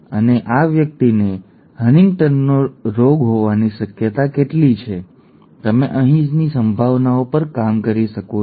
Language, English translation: Gujarati, And what is the probability that this person will will have HuntingtonÕs, you can work at the probabilities here